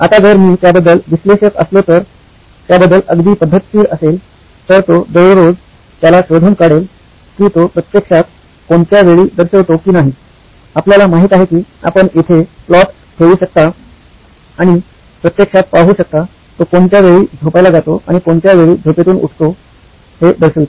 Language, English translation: Marathi, Now if I were analytical about this, very methodic about this, I would track him on a day to day basis on whether he actually shows up at what time does he show up, you know you can put plots here and see it actually marks at what time does he go to sleep and what time does he wake up